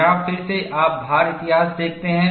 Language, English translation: Hindi, Here again, you see the load history